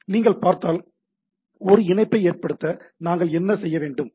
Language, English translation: Tamil, So, if you see, what we require to make a connection establish